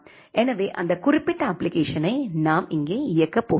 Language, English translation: Tamil, So, that particular application we are going to run here ok